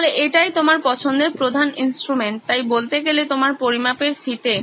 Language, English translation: Bengali, So this is your main instrument of choice, so to speak your measuring tape